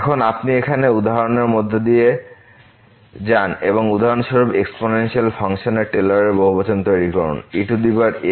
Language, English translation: Bengali, Now if you go through the example here and construct the Taylor’s polynomial of the exponential function for example, power around is equal to 0